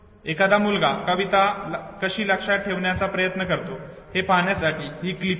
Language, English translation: Marathi, Look at the clip to see an actual attempt by a child to memorize a poem